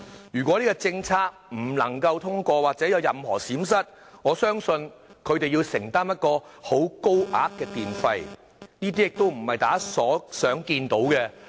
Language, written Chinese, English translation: Cantonese, 如果這項政策不能夠通過或有任何閃失，我相信他們將要承擔高昂的電費，而這並非大家想看到的情況。, Should this policy fail to pass I believe they will have to bear expensive electricity bills which is the last thing we would wish to see